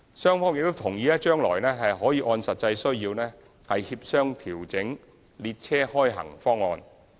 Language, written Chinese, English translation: Cantonese, 雙方亦同意將來可按實際需要協商調整列車開行方案。, Both parties also agreed that the train schedule could be adjusted subject to discussion on the actual operational needs